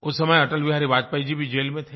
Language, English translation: Hindi, Atal Bihari Vajpayee ji was also in jail at that time